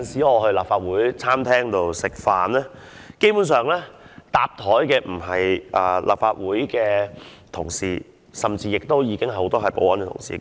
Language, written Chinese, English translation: Cantonese, 我到立法會餐廳吃飯，很多時候碰到的不是立法會的議員同事，而是保安同事。, When I go to the restaurant of the Legislative Council I always bump into security staff rather than Legislative Council Members and we will greet each other